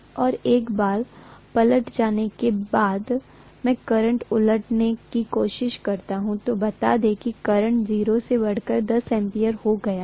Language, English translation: Hindi, And once I reversed, I try to reverse the current, let us say the current has increased from 0 to 10 ampere